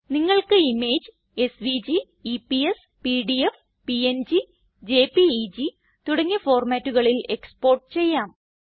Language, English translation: Malayalam, You can export the image as SVG, EPS, PDF, PNG, JPEG and a few others